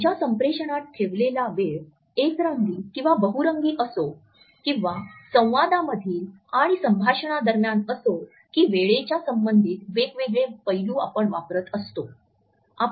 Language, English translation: Marathi, Whether the time we keep in our communication is monochrome or polychrome or whether during our dialogues and conversations we are using different aspects related with our understanding of time